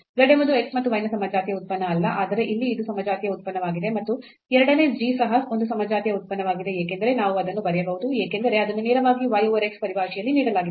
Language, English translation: Kannada, So, again the same problem the z is not a homogeneous function of x and y, but here this is a homogeneous function and the second g is also a homogeneous function because we can write down as it is a directly given in terms of y over x